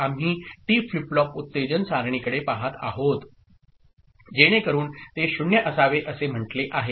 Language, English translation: Marathi, So, we look at T flip flop excitation table, so that says it should be 0